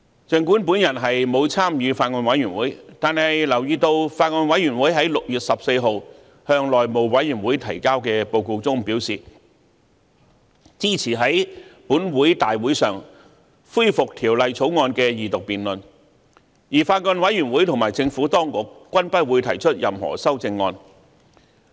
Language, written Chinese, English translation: Cantonese, 儘管我沒有參與法案委員會，但留意到法案委員會在6月14日向內務委員會提交的報告中表示，支持在立法會大會上恢復《條例草案》的二讀辯論，而法案委員會和政府當局均不會提出任何修正案。, Although I did not join the Bills Committee I notice that the Bills Committee has stated in its report submitted to the House Committee on 14 June that it supported the resumption of the Second Reading debate on the Bill at the Legislative Council meeting and both the Bills Committee and the Administration would not propose any amendment